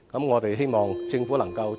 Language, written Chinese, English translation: Cantonese, 我們希望政府能夠......, We hope that the Government can implement them expeditiously